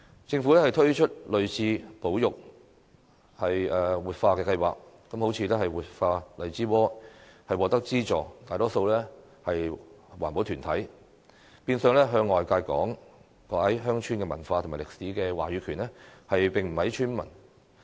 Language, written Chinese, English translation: Cantonese, 政府推出類似的保育、活化計劃，例如活化荔枝窩，獲得資助的大多數是環保團體，變相向外界講解鄉村文化和歷史的話語權便不屬於村民。, As regards similar conservation and revitalization projects introduced by the Government such as the revitalization of Lai Chi Wo the funding mainly goes to the environmental groups and thus villagers no longer have the right to explain rural culture and history to outsiders